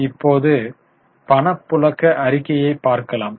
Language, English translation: Tamil, Now, let us go to cash flow statement